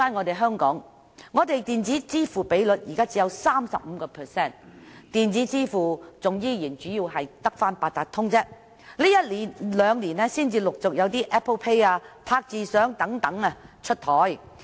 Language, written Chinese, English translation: Cantonese, 在香港，電子支付的比率只有 35%， 支付方式主要仍是八達通，這兩年才開始陸續有 Apple Pay、"拍住賞"等出台。, In Hong Kong the percentage of electronic payment is only 35 % . The main mode of payment is still Octopus . It was not until these two years that Apple Pay Tap Go etc